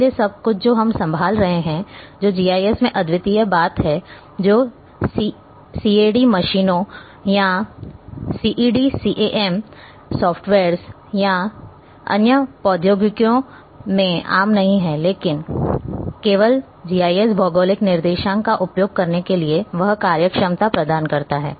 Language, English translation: Hindi, So, everything which we are handling which is the unique thing in GIS which is not common in CAD machines or CAD CAM softwares or other technologies, but only GIS provides that functionality to use geographic coordinates